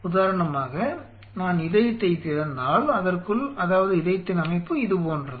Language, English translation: Tamil, So, say for example, if I recope in the heart within it say the structure of the heart is something like this